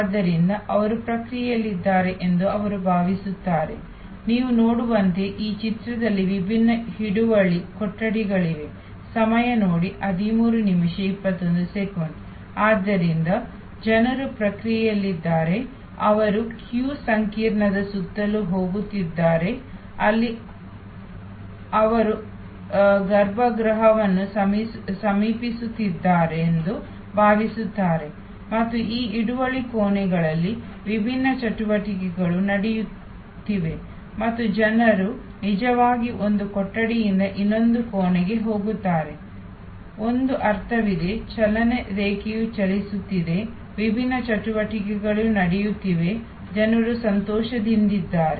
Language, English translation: Kannada, So, people are in the process, they are going around this queue complex, they feel there approaching the inner sanctum and different activities are going on in these holding rooms and people actually go from one room to the other room, there is a sense of movement, the line is moving, the different activities are taking place, people are happier